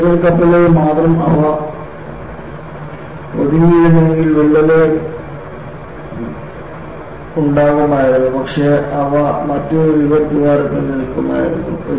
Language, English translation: Malayalam, If they had stuck only with riveted ships, cracks would have formed, but they would have got stopped in another rivet hole